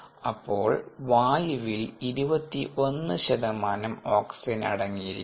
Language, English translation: Malayalam, air contains twenty one percentage oxygen